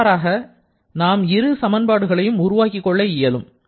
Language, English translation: Tamil, So, these are the 4 equations that we have now